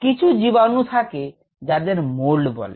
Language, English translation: Bengali, and also, there are organisms called molds